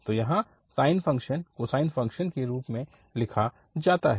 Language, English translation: Hindi, So here the sine function is written in terms of the cosine functions